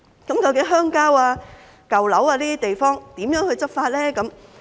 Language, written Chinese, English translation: Cantonese, 究竟在鄉郊、舊樓等地方如何執法呢？, How should we enforce the law in the countryside and old buildings?